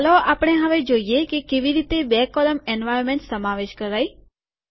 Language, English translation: Gujarati, Let us now see how to include a two column environment